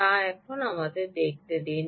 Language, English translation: Bengali, yes, so let me see